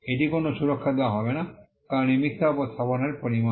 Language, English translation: Bengali, That will not be granted a protection as it amounts to false representation